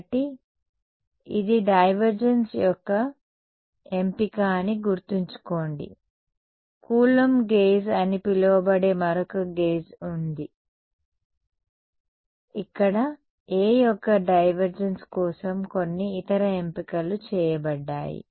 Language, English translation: Telugu, So, remember this is a choice of the divergence there is another gauge called coulomb gauge where some other choices made for divergence of A ok